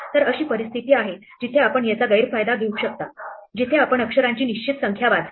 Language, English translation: Marathi, So, there are situation where you might exploit this where you read a fix number of characters